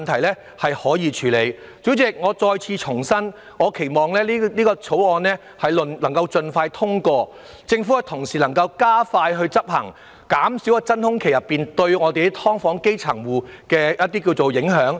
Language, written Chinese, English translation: Cantonese, 代理主席，我再次重申，期望《條例草案》能盡快獲得通過，而政府亦能加快執行，減少在真空期內對基層"劏房戶"的影響。, Deputy President let me reiterate once again that it is my hope that the Bill will be passed as soon as possible and that the Government will speed up implementation of the new initiatives so as to reduce the impact caused to grass - roots tenants of subdivided units during the vacuum period